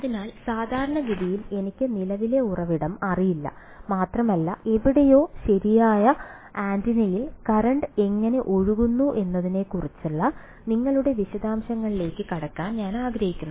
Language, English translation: Malayalam, So, typically I do not know the current source and I do want to get into your details how the current is flowing in some antenna somewhere right